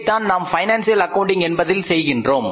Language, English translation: Tamil, This is all with regard to the financial accounting